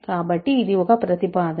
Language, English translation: Telugu, So, this is a proposition